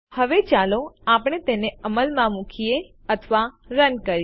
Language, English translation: Gujarati, Now let us execute or run it